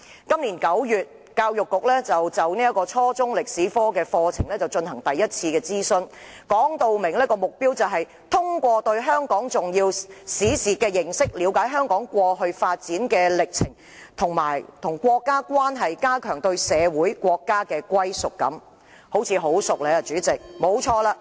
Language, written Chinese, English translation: Cantonese, 今年9月，教育局就初中歷史科課程進行第一次諮詢，目標訂明是通過對香港重要史事的認識，了解香港過去發展的歷程，以及與國家的關係，加強對社會、國家的歸屬感——用字似曾相識。, In September this year the Education Bureau conducted the first consultation on Chinese History curriculum at junior secondary level setting out the objective to strengthen a sense of belonging to our community and our country through understanding important historical events of Hong Kong the course of Hong Kongs past developments and its relations with the country―the wordings look familiar